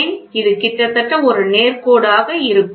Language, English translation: Tamil, Why theory it is almost a straight line